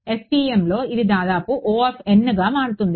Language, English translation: Telugu, In FEM this turns out to be almost order n